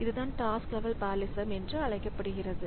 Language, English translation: Tamil, So, that is the task level parallelism